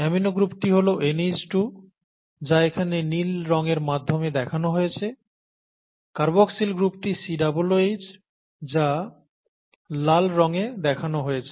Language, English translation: Bengali, So an amino acid, the amino group is an NH2 shown in blue here, the carboxyl group is a COOH which is shown in red here, okay